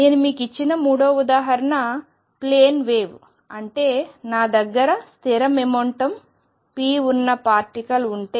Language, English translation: Telugu, Third example I gave you was that of a plane wave, that is if I have a particle with fixed momentum p